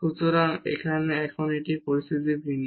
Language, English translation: Bengali, So, here one now the situation is different